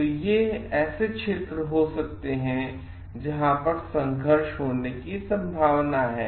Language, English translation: Hindi, So, these could be the zones where like conflicts may arise